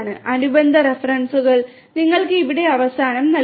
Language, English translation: Malayalam, The corresponding references are given to you at the end over here